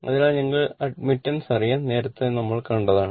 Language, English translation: Malayalam, So, because we know admittance earlier we have seen